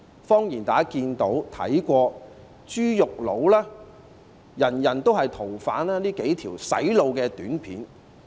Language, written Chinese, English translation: Cantonese, 謊言是大家可以看到"豬肉佬"、"人人也是逃犯"等這些"洗腦"短片。, Lies are told in those brainwashing videos about for instance a shopkeeper in a butchers shop the message that everybody is a fugitive and so on